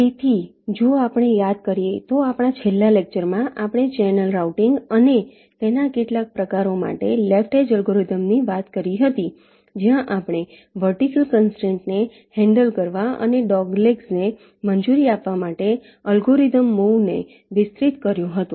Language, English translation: Gujarati, so in our last lecture, if we recall, we had talked about the basic left edge algorithm for channel routing and some of its variants, where we extended the algorithm move to handle the vertical constraint and also to allow for the dog legs